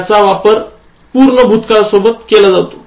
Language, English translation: Marathi, It is used with the past perfect tense